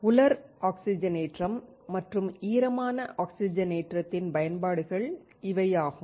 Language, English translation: Tamil, These are the application of dry oxidation and wet oxidation